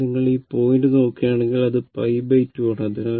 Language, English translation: Malayalam, So, if you look and look at this point, it is your what you call pi by 2 right